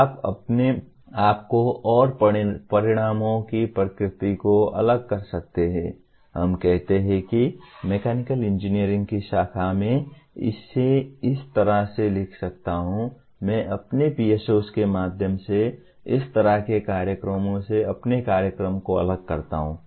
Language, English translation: Hindi, You can differentiate yourself and the nature of outcomes from let us say that branch of mechanical engineering I can write it in such a way I differentiate my program from similar programs through my PSOs